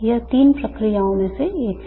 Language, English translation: Hindi, This is one of the three processes